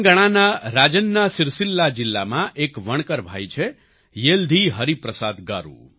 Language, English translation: Gujarati, There is a weaver brother in Rajanna Sircilla district of Telangana YeldhiHariprasad Garu